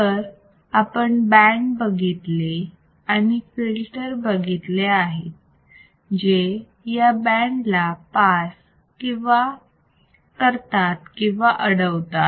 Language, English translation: Marathi, So, we have seen band and we have seen the filters that will pass a band and it will filter out band